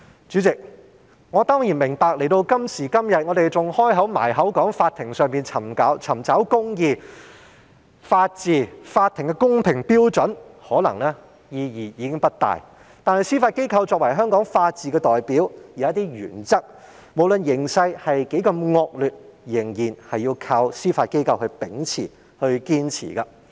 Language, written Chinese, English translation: Cantonese, 主席，到了今時今日，我明白我們動輒還說在法庭上尋找公義、法治、法庭的公平標準，意義可能已經不大，但司法機構作為香港法治的代表，無論形勢多麼惡劣，有一些原則仍然要靠司法機構秉持、堅持。, President I understand that it may be of little significance for us to all too easily nowadays speak of seeking justice from law courts law and order as well as the courts standard of fairness . However we still depend on the Judiciary as the representative of the rule of law in Hong Kong to uphold certain principles no matter how bad the situation has become particularly when judicial independence has come under challenge for the time being